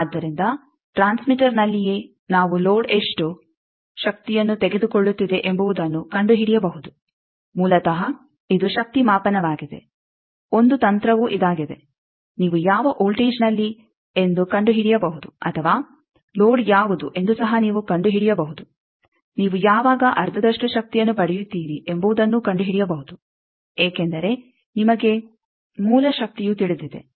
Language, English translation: Kannada, So, at the transmitter itself we can find out how much power the load is taking basically this is power measurement one of the technique is this that, you find out at which voltage or you can also find out what is the load you find out when you are getting half of the power, because you know the source power